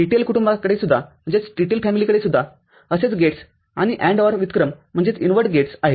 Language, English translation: Marathi, TTL family also has similar such gates and or input gates